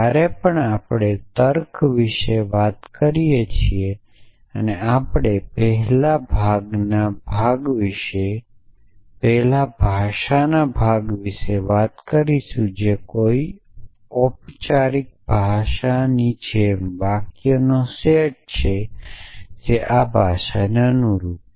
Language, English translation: Gujarati, So, whenever we talk about logic, we have first talk about the language part which like any formal language is a set of sentences that belongs to this language